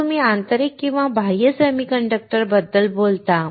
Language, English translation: Marathi, Then you talk about intrinsic and extrinsic semiconductors